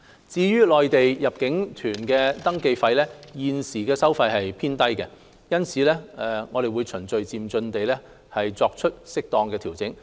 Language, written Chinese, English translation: Cantonese, 至於內地入境旅行團登記費，現行收費水平偏低，因此我們會循序漸進地作適當調整。, As regards registration fees on inbound tour groups from the Mainland the present level is considerably low thus the Government will gradually make suitable adjustments